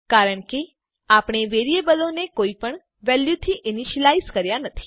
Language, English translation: Gujarati, This is because, we have not initialized the variables to any value